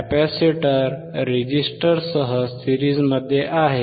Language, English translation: Marathi, Capacitor is in series with resistor